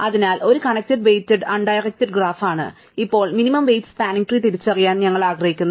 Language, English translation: Malayalam, So, G is a connected weighted undirected graph, and now we want to identify spanning tree with minimum weight